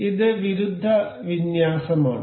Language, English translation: Malayalam, This is anti aligned